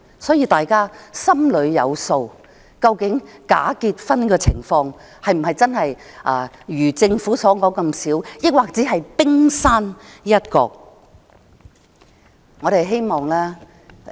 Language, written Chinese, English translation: Cantonese, 所以，大家心裏有數，究竟假結婚的個案是否真的如政府所說那麼少，還是只是冰山一角。, Therefore we all know in our heart of hearts whether the number of bogus marriages is really as low as described by the Government or just the tip of the iceberg